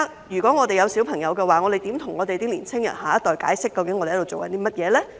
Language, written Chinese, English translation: Cantonese, 如果我們有小朋友，我們如何跟香港的年輕人、下一代解釋究竟我們在做甚麼呢？, If we have children how can we explain to the young people and the next generation of Hong Kong what we are doing?